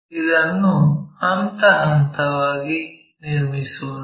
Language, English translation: Kannada, Let us see that step by step